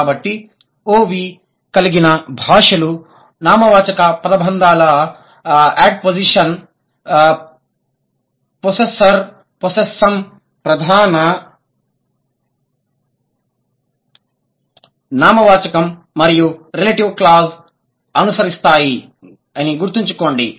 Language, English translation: Telugu, So, one of the OV languages, object verb languages, they follow noun phrase, ad position, possessor, possessum, head noun and relative clause